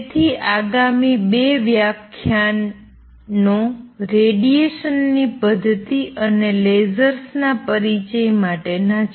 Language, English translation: Gujarati, So, next 2 lectures are going to be devoted to this mechanism of radiation and place introduction to lasers